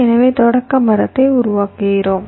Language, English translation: Tamil, so we construct the initials tree